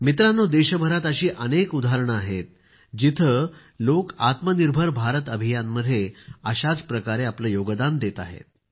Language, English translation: Marathi, there are many examples across the country where people are contributing in a similar manner to the 'Atmanirbhar Bharat Abhiyan'